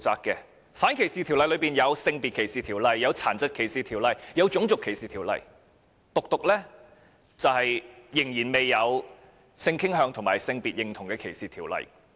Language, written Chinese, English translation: Cantonese, 在反歧視條例當中，有《性別歧視條例》、《殘疾歧視條例》和《種族歧視條例》，唯獨仍然未有有關性傾向及性別認同歧視的條例。, Anti - discrimination legislation includes the Sex Discrimination Ordinance the Disability Discrimination Ordinance and the Family Status Discrimination Ordinance but it is the legislation against discrimination on grounds of sexual orientation and identity alone that is missing